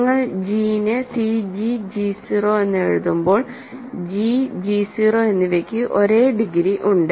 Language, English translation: Malayalam, When you write g as c g g 0, g and g 0 have the same degree